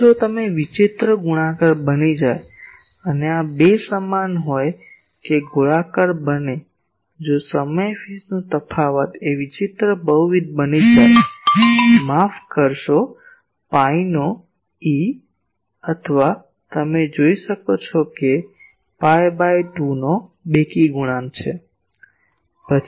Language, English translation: Gujarati, Now that if it becomes odd multiples and these 2 are equal that become circular if the time phase difference become that odd multiple of a; sorry integral multiple of pi or you can say even multiple of pi by 2, then it is a linear etc